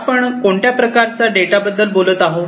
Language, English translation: Marathi, So, what kind of data we are talking about